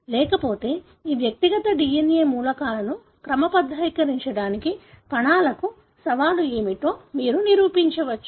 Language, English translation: Telugu, Otherwise, you can imagine as to what would be the challenge for the cell to sort these individual DNA elements